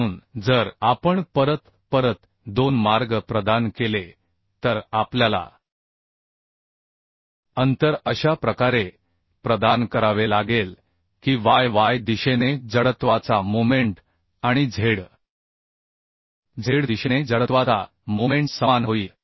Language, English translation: Marathi, So if we provide two channels back to back then we need to provide means we have to provide the spacing in such a way that the moment of inertia about yy direction and moment of inertia about zz direction becomes same